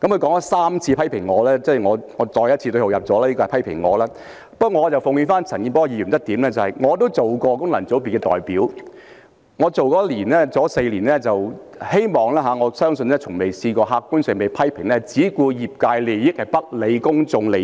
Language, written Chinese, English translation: Cantonese, 他3次批評我——我再次對號入座，我認為他是批評我——不過，我奉勸陳健波議員一點，我也曾擔任功能界別的代表，在我擔任功能界別代表的4年，我希望亦相信我從未在客觀上被批評只顧業界利益而不理公眾利益。, He criticized me for three times―again I find that his criticisms aimed at my pigeon hole and I think that he was criticizing me―but I have a piece of advice for him . I have also served as a representative for a functional constituency and during the four years when I served as a representative for that functional constituency I hoped and I also believed that as a matter of fact I had never been criticized of caring about only the interest of the sector I represented and ignoring public interest